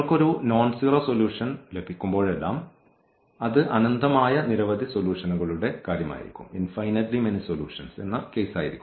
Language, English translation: Malayalam, Whenever we are getting a nonzero solution and that will be the case of infinitely many solutions